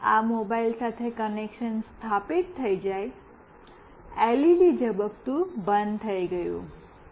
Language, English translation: Gujarati, Once the connection is established with this mobile, the LED has stopped blinking